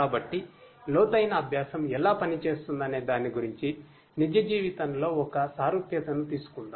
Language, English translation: Telugu, So, let us take an analogy from real life about how deep learning works